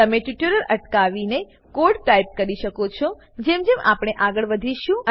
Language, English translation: Gujarati, You can pause the tutorial, and type the code as we go through it